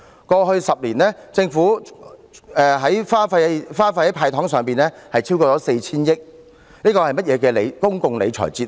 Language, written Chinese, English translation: Cantonese, 過去10年，政府花費在"派糖"上的開支，一共超過 4,000 億元，這是甚麼的公共理財哲學？, Over the past decade the Government has spent a total of over 400 billion on handing out sweeteners . What kind of public monetary management philosophy is that?